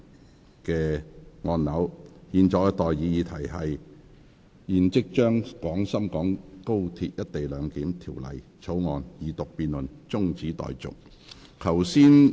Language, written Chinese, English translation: Cantonese, 我現在向各位提出的待議議題是：現即將《廣深港高鐵條例草案》的二讀辯論中止待續。, I now propose the question to you and that is That the Second Reading debate on the Guangzhou - Shenzhen - Hong Kong Express Rail Link Co - location Bill be now adjourned